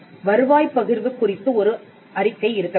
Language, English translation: Tamil, There has to be a statement on revenue sharing